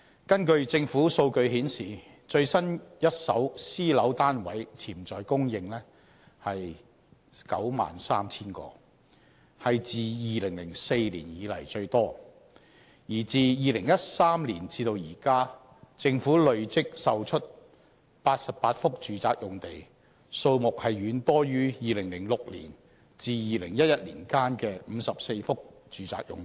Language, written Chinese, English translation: Cantonese, 根據政府數據顯示，最新一手私樓單位潛在供應為 93,000 個，是自2004年以來最多；而自2013年至今，政府累積售出88幅住宅用地，數目遠多於2006年至2011年間的54幅住宅用地。, According to the latest government statistics the projected private flat supply is 93 000 a record high since 2004 . From 2013 to date a total of 88 residential sites have been sold by the Government far exceeding the 54 residential sites sold from 2006 to 2011